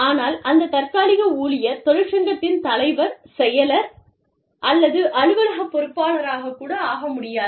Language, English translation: Tamil, But, the temporary worker, cannot be the president, or the secretary, or an office bearer, of the union